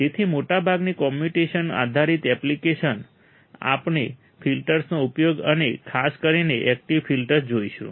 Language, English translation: Gujarati, So, most of the communication based applications, we will see the use of the filters and in particular active filters